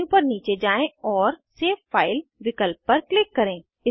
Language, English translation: Hindi, Scroll down the menu and click on save file option